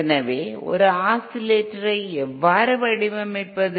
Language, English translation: Tamil, So how do we design an oscillator